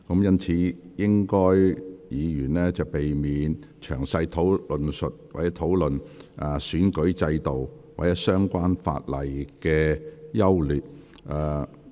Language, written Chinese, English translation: Cantonese, 因此，請議員避免詳細論述整體選舉制度或相關法例的優劣。, Members should therefore avoid giving detailed comments on the overall electoral system or the merits of relevant ordinances